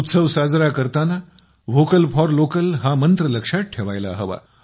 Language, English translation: Marathi, At the time of celebration, we also have to remember the mantra of Vocal for Local